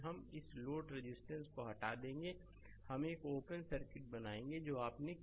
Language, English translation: Hindi, First we will remove this load resistance right, we will make an open circuit right that what you have done right